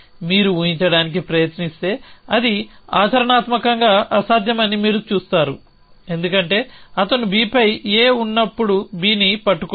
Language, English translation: Telugu, To if you try to imagine that you will see that it practically impossible, because he cannot be holding B when A is on B